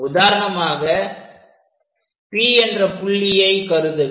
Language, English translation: Tamil, Let us pick first point this one point P